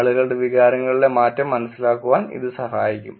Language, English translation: Malayalam, It can help actually understand the change in emotions of people also